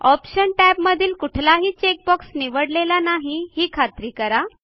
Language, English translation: Marathi, Ensure that all the check boxes in the Options tab are unchecked